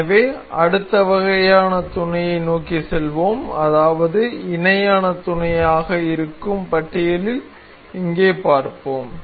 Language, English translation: Tamil, So, let us move onto the next kind of mate that is we will see here in the list that is parallel mate